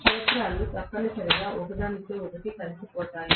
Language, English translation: Telugu, The fields essentially align themselves with each other right